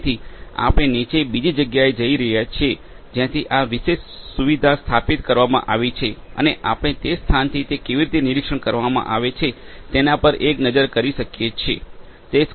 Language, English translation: Gujarati, So, we are going to go downstairs at the other location from where this particular facility has been installed and we can have a look at how things are being monitored from that, that particular location